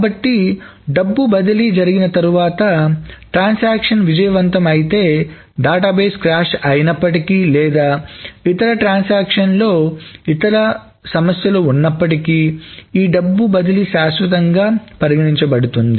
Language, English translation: Telugu, So after this transfer of money has been happened and if the transaction has succeeded successfully, that is, even if the database crashes or there are other problems in other transactions, there are other issues, this transfer of money is deemed to be permanent